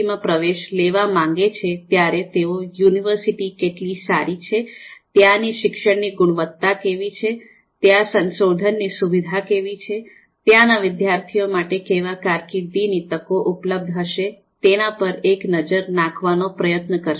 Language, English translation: Gujarati, programs, they would you know try to take a look how good the university is, how is the teaching quality there, how is the research there, what are the career opportunities that are going to be available for the student over there